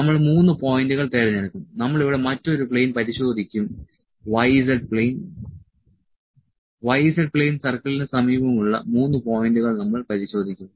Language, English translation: Malayalam, So, we will select 3 points we will check another plane here y z plane, we will check 3 points near to y z plane circle